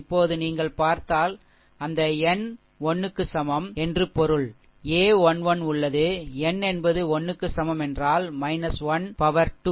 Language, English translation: Tamil, Now if you look into that, that n n is equal to 1 means it is, a 1 1 is there n is equal to 1 means this is minus 1 square